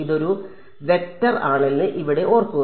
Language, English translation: Malayalam, Remember here this is a vector